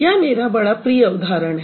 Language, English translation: Hindi, So, this is my pet example actually